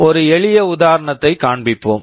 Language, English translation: Tamil, Let us show a simple example